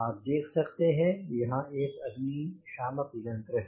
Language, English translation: Hindi, you can see here there is a fire extinguisher